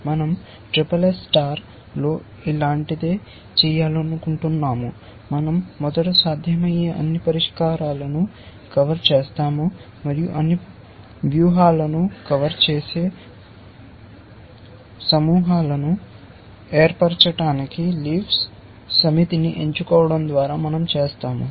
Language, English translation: Telugu, We want to do something similar here in SSS star is that, we first cover all the possible solutions and that is what we have done by choosing the set of leaves to form the clusters which cover all strategies